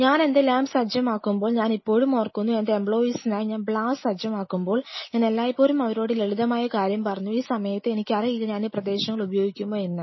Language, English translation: Malayalam, You know when I set up my lab I still remember and as a matter of fact when I set up blast for my for my employers I always told them this simple thing like at this point I do not know like I may love to you know explore this areas